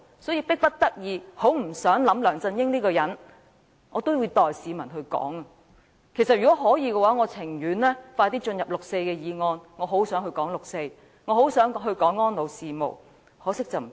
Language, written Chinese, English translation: Cantonese, 所以，迫不得己，即使我不想再談梁振英這個人，我也要代市民發聲，但如果可以，我寧可盡快開始討論六四的議案，我很想討論六四，亦很想討論安老事務，只可惜不行。, Hence no matter how reluctant I am to talk about LEUNG Chun - ying again I must speak for the people . But if I could I would rather commence the discussion on the motion about the 4 June incident as soon as possible and I also eager to discuss elderly care but I just cannot do so